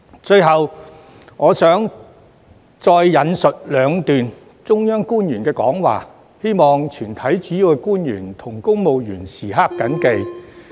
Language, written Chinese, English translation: Cantonese, 最後我想再引述兩段中央官員的講話，希望全體主要官員和公務員時刻謹記。, Lastly I would like to quote two extracts from the remarks of Central Government officials hoping that all principal officials and civil servants will always bear them in mind